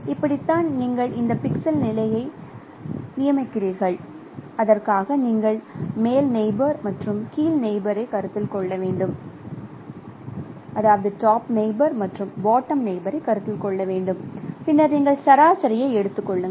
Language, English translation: Tamil, That is how you designate this pixel positions and for that case you have to consider the top neighbor and bottom neighbor and then you take the average